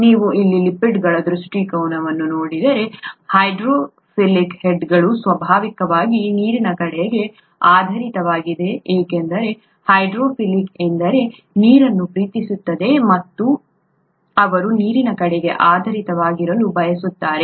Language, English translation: Kannada, If you look at the orientation of the lipids here, the hydrophilic heads are oriented towards water naturally because the hydrophilic means water loving and they would like to be oriented towards water